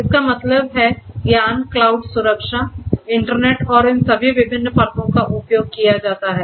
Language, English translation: Hindi, That means, the knowledge you know cloud security, internet and so on so all of these different layers are used